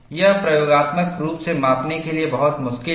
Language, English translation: Hindi, This is a very difficult to measure experimentally